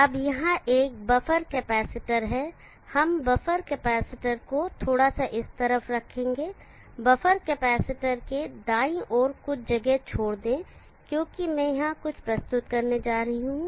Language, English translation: Hindi, Now there is a buffer capacitor we will put buffer capacitor slightly on this side leaving some space to the right of the buffer capacitor because I want to introduce something here